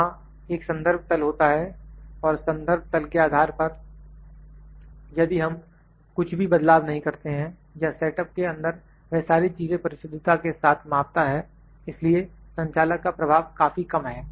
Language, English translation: Hindi, This is a reference plane and based on this reference plane, if we do not change anything or in the setup it will measure all the things accurately so, operator influence is very less